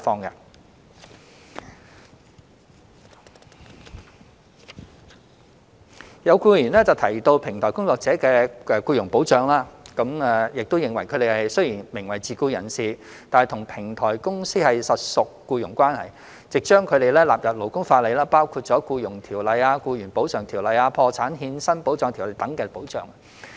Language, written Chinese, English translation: Cantonese, 有議員提及平台工作者的僱傭保障，並認為他們雖然名為自僱人士，但與平台公司實屬僱傭關係，應將他們納入勞工法例，包括《僱傭條例》、《僱員補償條例》、《破產欠薪保障條例》等的保障。, Some Members mentioned the employment protection for platform workers and considered that although they were considered self - employed persons they had an employment relationship with the platform companies concerned and should be covered by the labour laws including the Employment Ordinance the Employees Compensation Ordinance and the Protection of Wages on Insolvency Ordinance and so on